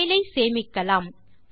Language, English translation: Tamil, Let us now save the file